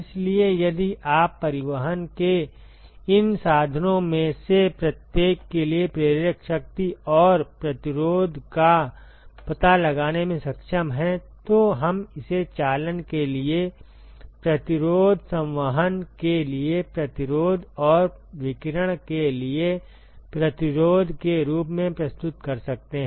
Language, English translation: Hindi, So, if you are able to find out the driving force and resistances for each of these mode of transport, then we could represent it as resistance for conduction, resistance for convection and resistance for radiation ok